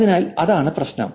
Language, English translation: Malayalam, So, that's the goal here